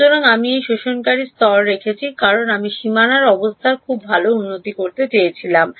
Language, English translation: Bengali, So, I have put an absorbing layer because I wanted to improve boundary conditions very good